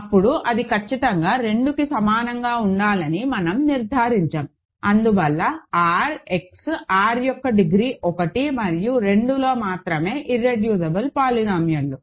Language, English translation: Telugu, Then, we have concluded that it must be exactly equal to 2, hence only irreducible polynomials in R X, R of degree 1 and degree 2